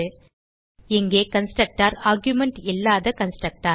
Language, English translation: Tamil, The constructor here is the no argument constructor